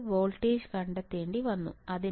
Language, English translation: Malayalam, I had to just find out the voltage